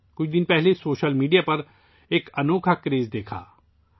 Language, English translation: Urdu, A few days ago an awesome craze appeared on social media